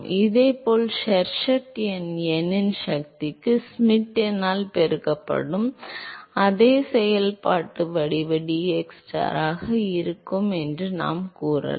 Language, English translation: Tamil, If similarly, we could say that Sherwood number will be same functional form xstar multiplied by Schmidt number to the power of n